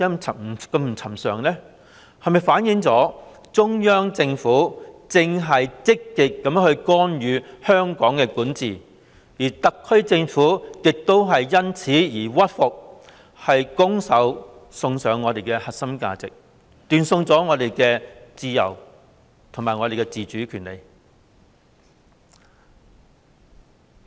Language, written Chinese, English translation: Cantonese, 這是否反映中央政府正積極干預香港的管治，而特區政府亦因此而屈服，拱手送上我們的核心價值，斷送了我們的自由和自主的權利？, Does it indicate that the Central Government is actively intervening in Hong Kongs governance and the SAR Government has reluctantly followed its orders and voluntarily given up our core values and our rights to freedom and autonomy?